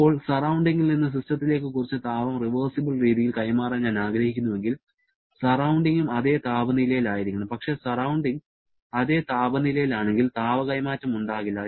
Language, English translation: Malayalam, Now, if I want to transfer some heat from the surrounding to the system following a reversible manner, then the surrounding has to be at the same temperature, but if it is at the same temperature then there will be no heat transfer